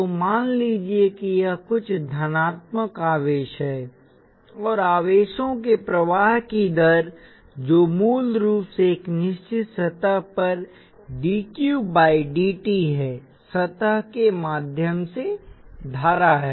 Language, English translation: Hindi, So let say these are some positive charges, and the rate of flow of charges which is basically dQ by dt across a certain surface is the current through the surface